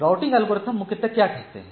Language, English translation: Hindi, So routing algorithms primarily what it does